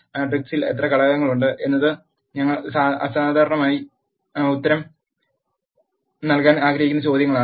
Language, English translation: Malayalam, How many elements are there in the matrix is the questions we generally wanted to answer